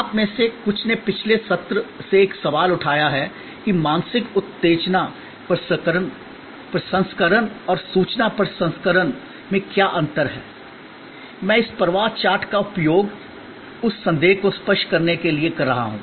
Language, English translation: Hindi, Some of you have sort of raised a question from a previous session that what is the difference between mental stimulus processing and information processing; I am using this flow chart to clarify that doubt as well